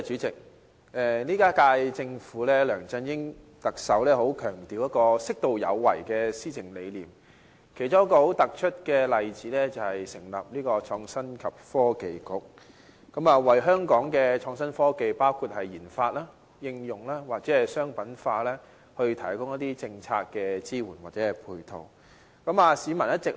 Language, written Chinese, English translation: Cantonese, 這一屆政府，特首梁振英很強調適度有為的施政理念，其中一個很突出的例子就是成立創新及科技局，為香港的創新科技的研發、應用，或者商品化，提供一些政策支援或配套。, In the current term of Government the Chief Executive LEUNG Chun - ying attaches much importance to the governing principle of appropriate proactivity . A prominent example of this is the establishment of the Innovation and Technology Bureau to provide policy support or ancillaries for the research and development application and commercialization of innovation and technology